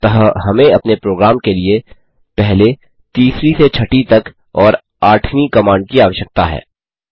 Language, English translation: Hindi, So we need first third to sixth and the eighth command for our program